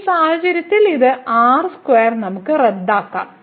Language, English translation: Malayalam, So, in this case this square we can cancel out